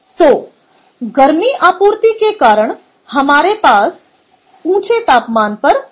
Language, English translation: Hindi, so our supplied heat, so i am having temperature, ah, gases at elevated temperature